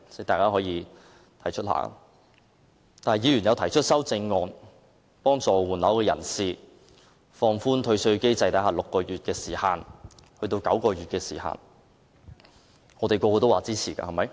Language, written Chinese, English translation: Cantonese, 但是，議員提出修正案幫助換樓人士，將換樓退稅的時限由6個月延長至9個月，大家都同意的，對嗎？, However is it that all Members endorse the amendment to extend the time limit for property replacement under the refund mechanism from six months to nine months so as to help people replacing properties?